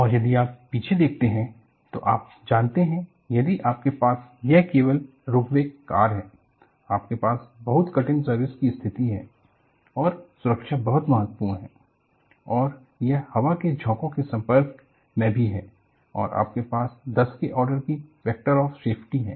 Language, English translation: Hindi, And if you really look back, you know, if you have this cable ropeway cars, where you have a very difficult service condition and safety is very very important and it is also exposed to the gusts of wind and you have factor of safety of the order of N